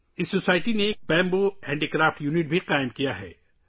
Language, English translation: Urdu, This society has also established a bamboo handicraft unit